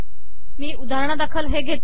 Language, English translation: Marathi, So let me just take this example